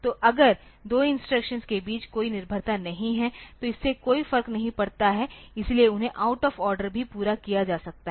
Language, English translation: Hindi, So, if there is no dependency between the two instructions so, it does not make any difference so, they can be completed out of order also